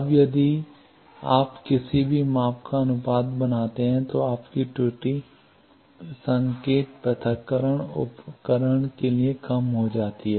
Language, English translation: Hindi, Now, if you make ratio of any measurement then your error becomes less devices for signal separation